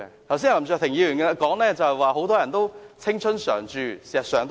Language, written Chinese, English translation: Cantonese, 林卓廷議員剛才說很多人都青春常駐，這是事實。, Mr LAM Cheuk - ting said just now that many people can maintain a youthful look . That is true